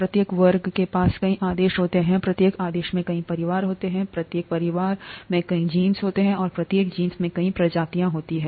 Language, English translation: Hindi, Each class has many orders, each order has many families, each family has many genuses, and each genus has many species